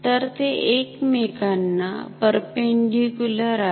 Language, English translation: Marathi, So, they are perpendicular to each other